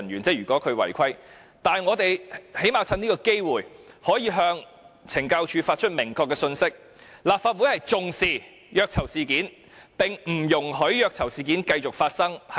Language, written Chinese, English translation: Cantonese, 但我們最低限度可以藉此機會，向懲教署發出明確的信息，立法會重視虐囚事件，並不容許虐囚事件繼續發生。, However at least we can take this opportunity to expressly demonstrate to CSD that the Council pays much attention to issues of torture of prisoners and we will seek to stop these incidents